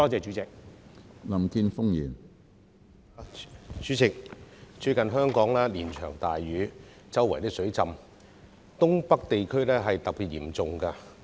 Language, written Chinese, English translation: Cantonese, 主席，最近香港連場大雨，到處出現水浸，而東北地區尤其嚴重。, President there have recently been heavy rains in Hong Kong and flooding occurs everywhere and the situation is particularly serious in the northeast areas